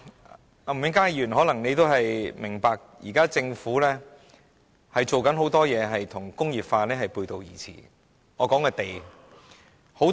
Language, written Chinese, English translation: Cantonese, 吳永嘉議員可能也明白，現時政府正在做的事，很多與工業化背道而馳，我所指的是土地。, Mr Jimmy NG may also understand that a lot of things which the Government is doing now run contrary to industrialization . I am referring to land